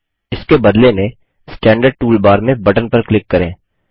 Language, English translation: Hindi, Alternately, click on the button in the standard tool bar